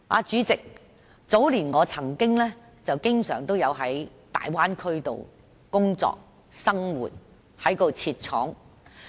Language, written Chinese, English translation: Cantonese, 主席，我早年經常在大灣區工作和生活，因為我在當地設廠。, President I worked and lived in the Bay Area for quite some time many years ago as I was a factory owner there